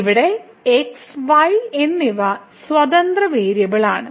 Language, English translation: Malayalam, So, here x and y they are the independent variable